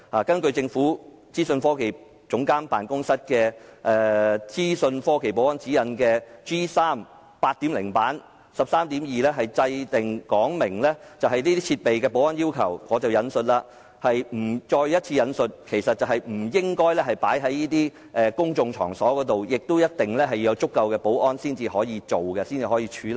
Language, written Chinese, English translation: Cantonese, 根據政府資訊科技總監辦公室的《資訊科技保安指引第 8.0 版》13.2 條所訂，使用這些設備須符合若干保安要求，包括我再一次引述的不應放在公眾場所，以及必須有足夠保安才可使用和處理。, According to Article 13.2 of the IT Security Guidelines G3 Version 8.0 from OGCIO the use of such devices are governed by certain security requirements . These include―let me refer to them again―the provisions that such devices must not be left unattended to in public places and that they may be used and handled only when sufficient security measures are in place